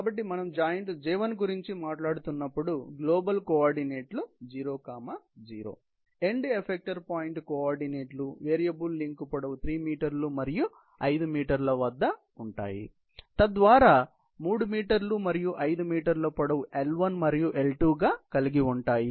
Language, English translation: Telugu, So, when we are talking about 0 0 as the global coordinates for the joint J1, the coordinate of end effector points at variable link lengths are 3 meters and 5 meters; meaning thereby that you have 3 meters and 5 meters as the length L1 and L2